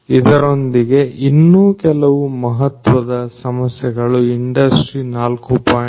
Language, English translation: Kannada, Additionally there are other important issues in Industry 4